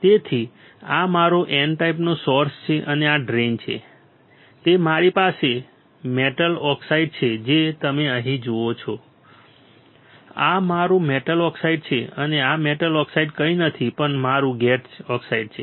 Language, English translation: Gujarati, So, that this is my N type source and drain after that I have a metal oxide you see here, this is my metal oxide and this metal oxide is nothing, but my gate oxide